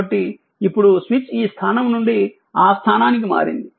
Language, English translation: Telugu, So, now switch has moved from this position to that position right